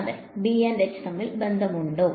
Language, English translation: Malayalam, Yes; is there a relation between B and H